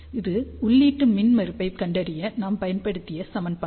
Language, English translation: Tamil, So, this is the equation which we have used to find out the input impedance